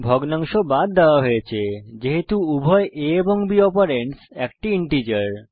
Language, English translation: Bengali, The fractional part has been truncated as both the operands a and b are integers